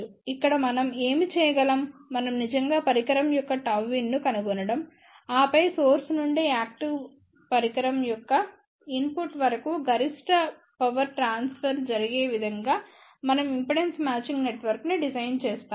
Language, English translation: Telugu, What we can to here that we can actually find out what is the gamma input of the device and then, we design impedance matching network such a way that maximum power transfer takes place from the source to the input of the active device